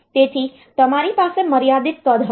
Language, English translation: Gujarati, So, you have there will be a finite size